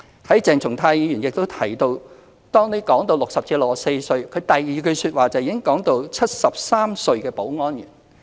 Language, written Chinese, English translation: Cantonese, 當鄭松泰議員談到60歲至64歲的問題時，第二句便已講到73歲的保安員。, When Dr CHENG Chung - tai talked about the issue concerning people aged between 60 and 64 he talked about a 73 - year - old security guard in following sentence